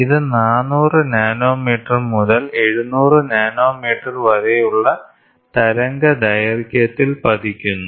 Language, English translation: Malayalam, It falls in the wavelength between 400 nanometres to 700 nanometres